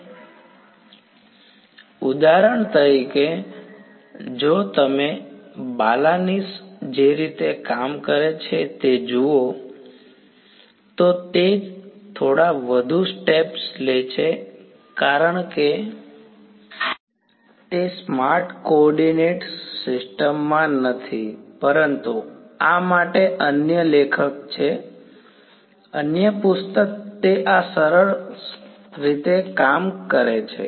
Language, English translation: Gujarati, So for example, if you look at the way Balanis does it, he takes a few more steps because it is doing it in a not in the smartest coordinate system, but the other author for this is , the other book he does it in this nice way